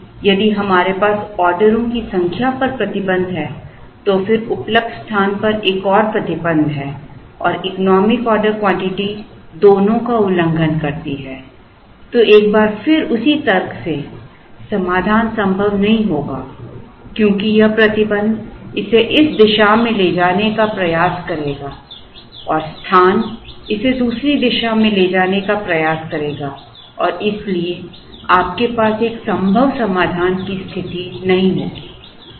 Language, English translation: Hindi, So, if we have a restriction on the number of orders and then another restriction on the space and the economic order quantity violates both of them, then once again by the same argument the solution will be infeasible because this restriction will try to move it in this direction, space will try to move it in the other direction and therefore, you will not have a feasible situation